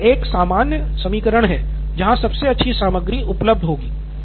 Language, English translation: Hindi, So there is a generic equation where this is the best available content